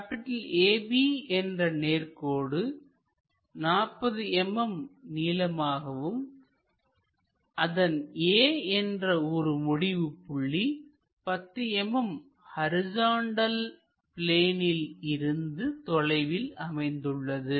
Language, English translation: Tamil, There is a straight line AB of 40 mm length has one of it is ends A at 10 mm in front of HP